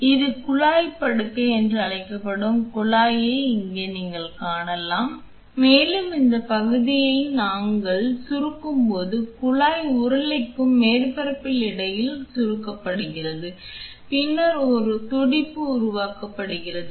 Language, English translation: Tamil, So, here you can see the tube which this is called as the tube bed and here as we compress this portion the tube gets compressed between the roller and the surface here and then a pulse pulsation is being created